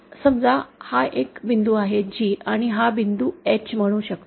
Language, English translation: Marathi, Suppose this is a point say G and this is the point say H